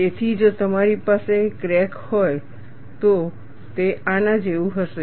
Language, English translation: Gujarati, So, if you have the crack, it will be like this